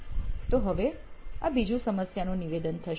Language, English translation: Gujarati, So that would be another, the next problem statement